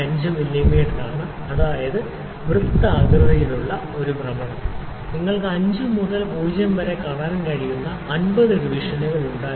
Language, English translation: Malayalam, 5 mm; that mean, one rotation on the circular scale, we had actually 50 divisions you can see 0 from 5